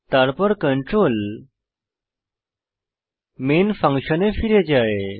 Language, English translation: Bengali, Then the control jumps back to the Main function